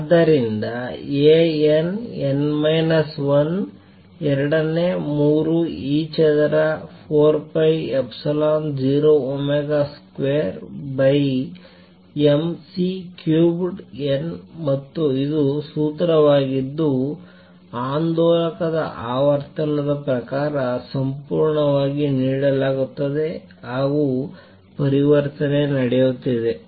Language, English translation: Kannada, So, A n, n minus 1 is 2 third e square by 4 pi epsilon 0 omega square by m C cubed n and this is a formula which is given purely in terms of the frequency of the oscillator the n index for the level form is the transition is taking place